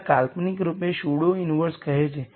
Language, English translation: Gujarati, Now this is conceptually saying pseudo inverse and so on